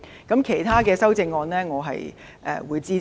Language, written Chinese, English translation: Cantonese, 至於其他修正案，我會支持。, As for other amendments I will support them